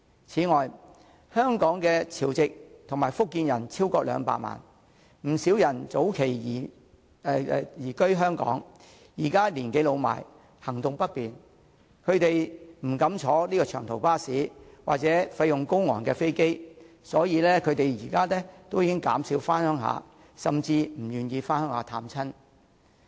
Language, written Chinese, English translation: Cantonese, 此外，香港的潮籍及福建人超過200萬，不少人早期已移居香港，現時年紀老邁，行動不便，他們不敢乘坐長途巴士或費用高昂的飛機，所以減少回鄉甚至不願回鄉探親。, Besides there are more than 2 million Hong Kong people whose home towns are in Chiu Chow or Fujian . Many of them have settled in Hong Kong for a long time . As they are now getting old and their mobility is impaired they dare not take long - distance bus rides and are unwilling to travel by plane due to the high expenses thus they return to their home towns less often or they even refuse to return